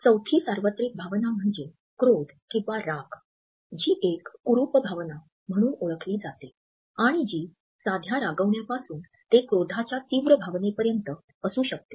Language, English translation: Marathi, Fourth universal emotion is anger, which is known as an ugly emotion and which can range anywhere from annoyance to an intense feeling of rage